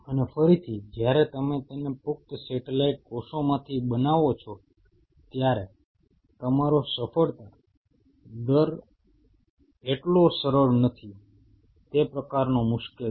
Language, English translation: Gujarati, And again when you grow it from the adult satellite cells your success rate is not that easy, it is kind of tricky